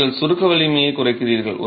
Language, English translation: Tamil, How do you test the compressive strength of the unit